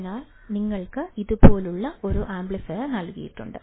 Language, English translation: Malayalam, So, you have been given an amplifier like this